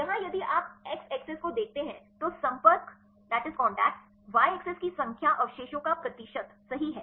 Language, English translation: Hindi, Here if you see the x axis the number of contacts y axis a percentage of residues right